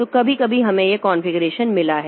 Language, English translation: Hindi, So sometimes we have got this configuration